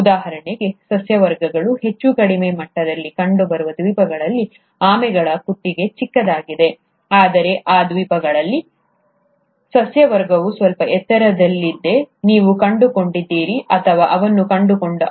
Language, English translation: Kannada, For example, in those islands where the vegetations were found at a much lower level, the neck of the tortoises were smaller, while in those islands where the vegetations were slightly at a higher level at a higher height, you found, or he found rather that the tortoises had a longer neck